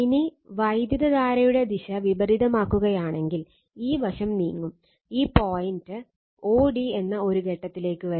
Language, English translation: Malayalam, Now, further if you reverse the direction of the current right, now this side you are moving, you will come to some point o d right that this point o d